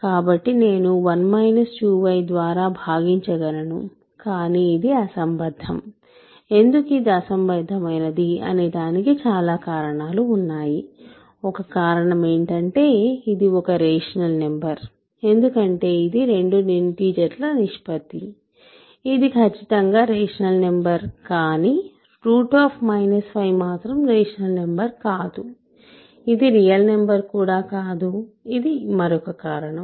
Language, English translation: Telugu, So, I can divide by 1 minus 2 y, but this is absurd, why is this absurd, for several reasons; one reason is that this is a rational number right because it is a ratio of two integers, it is rational number certainly square root minus 5 is not a rational number also this real number, but this cannot be a real number so that is another reason